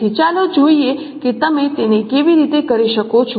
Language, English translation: Gujarati, So let us see how you can do it